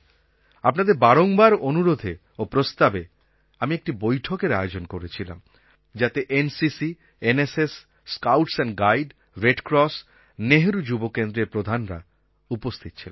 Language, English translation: Bengali, It was under pressure from you people, following your suggestions, that I recently called for a meeting with the chiefs of NCC, NSS, Bharat Scouts and Guides, Red Cross and the Nehru Yuva Kendra